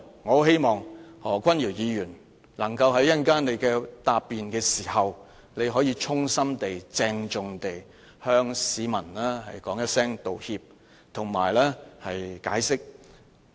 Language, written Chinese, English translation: Cantonese, 我希望何君堯議員在稍後答辯時可以向市民衷心鄭重地道歉及解釋。, The follow - up action I hope Dr Junius HO can tender a sincere and solemn apology and explanation to people in his reply later on